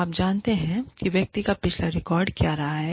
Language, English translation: Hindi, You know, what the person's, past record has been